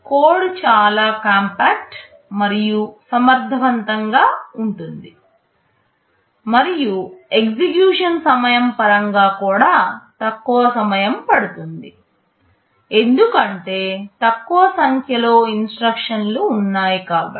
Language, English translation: Telugu, The code can be very compact and efficient, and in terms of execution time will also take less time because there are fewer number of instructions